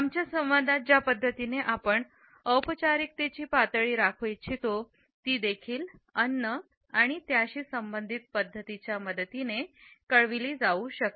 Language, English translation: Marathi, The levels of formality which we want to maintain in our dialogue can also be communicated with the help of food and its associated practices